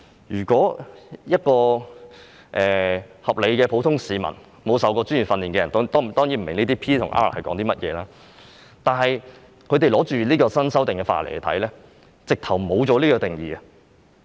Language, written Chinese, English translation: Cantonese, 如果是一名合理的普通市民、沒有受過專業訓練，當然不明白這些 "P" 和 "R" 是甚麼，但他們拿着新修訂的法例來看，發覺沒有這些定義。, A reasonable layman without undergoing professional training will certainly have no idea what P and R mean . When he reads the newly amended Ordinance he will not find the relevant definitions